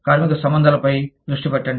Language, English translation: Telugu, Focus of labor relations